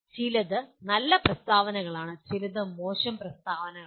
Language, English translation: Malayalam, Some are good statements some are bad statements